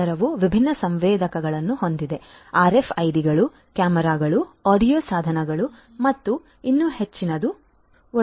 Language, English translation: Kannada, This will consist of this layer will consist of different sensors RFIDs, cameras, audio devices and many more